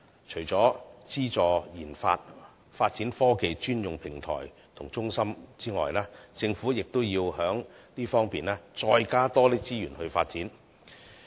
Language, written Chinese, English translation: Cantonese, 除了資助研發、發展科技專用平台和中心外，政府亦要在這方面再多加資源發展。, In addition to subsidizing research and development and setting up dedicated platforms and centres in science and technology the Government also needs to allocate more resources for this aspect of development